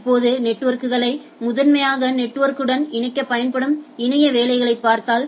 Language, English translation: Tamil, Now, if we look at internetworking so used to connect networks together not primarily network